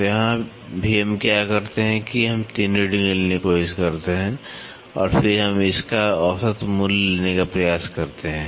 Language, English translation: Hindi, So, here also what we do is we try to take 3 readings and then we try to take the average value of it